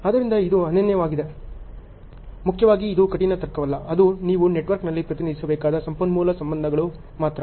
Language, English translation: Kannada, So, there is unique so, primarily this is not the hard logic it is only the resource relationships which you have to represent in the network